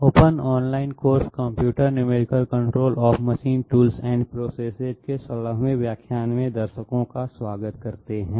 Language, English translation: Hindi, Welcome viewers to the 16th lecture in the open online course Computer numerical control CNC of machine tools and processes